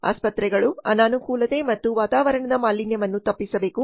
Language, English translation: Kannada, Hospital should avoid inconvenience and atmospheric pollution